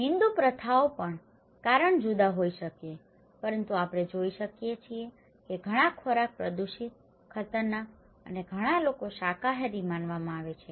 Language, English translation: Gujarati, Even within the Hindu practices, the reason could be different but we can see that many foods are considered to be polluted, dangerous and many people are vegetarian